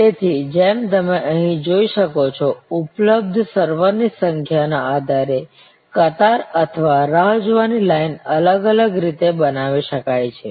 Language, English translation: Gujarati, So, as you can see here, the queue or the waiting line can be structured in different ways depending on the number of servers available